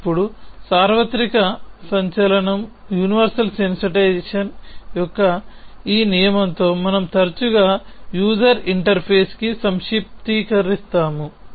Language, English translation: Telugu, with this rule of universal in sensation which we often abbreviate to UI